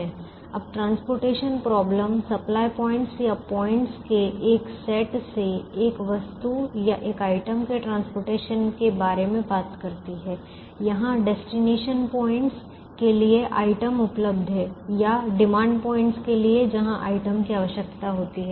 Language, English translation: Hindi, now the transportation problem talks about transporting a commodity or a single item from a set of supply points or points where the item is available to destination points or demand points where the item is required